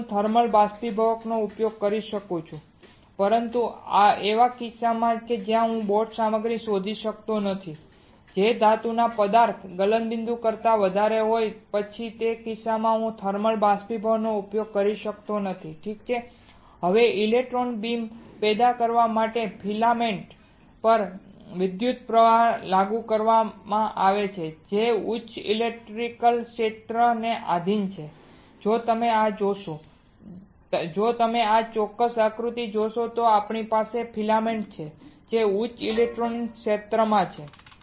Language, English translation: Gujarati, Then I can use thermal evaporator, but in the cases where I cannot find a material of a boat which is greater than the material melting point of the metal, then in that case I cannot use thermal evaporator alright easy now to generate an electron beam an electrical current is applied to the filament which is subjected to high electric field if you see this one, if you see this particular diagram we have a filament right which is at high electric field